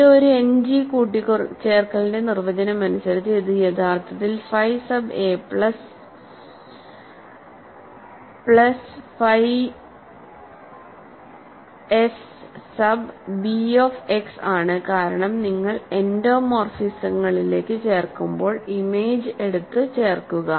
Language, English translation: Malayalam, This by the definition of addition an End G, this is actually phi sub a plus plus phi sub b of x because, when you come add to endomorphisms you just add it in the take the image and add